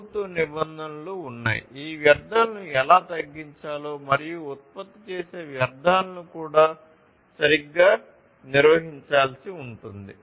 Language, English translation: Telugu, So, there are government regulations, which talk about how to reduce these wastes and also the wastes that are produced will have to be handled properly